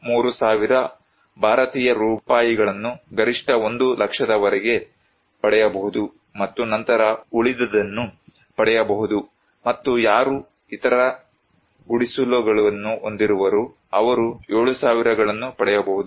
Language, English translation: Kannada, 3000, Indian rupees per square meter up to a maximum of 1 lakh and then the rest of the will got; and those who have other huts; in case of hut, they can get a 7000